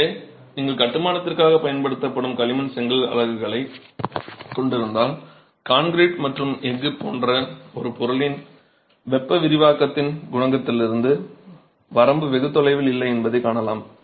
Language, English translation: Tamil, So, if you have clay brick units that you are using for construction, you see that the range is not too far from the coefficient of thermal expansion for material like concrete and steel